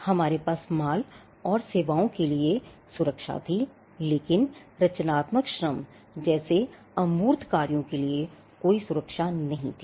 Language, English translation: Hindi, We had protection for goods and services, but there was no protection for the intangibles like creative labour